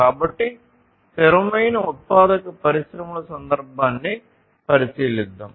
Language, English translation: Telugu, So, let us consider the context of sustainable manufacturing industries